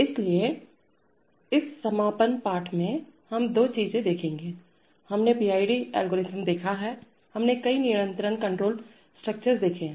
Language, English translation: Hindi, So in this concluding lesson, we shall look at two things we have seen the PID algorithm, we have seen several control structures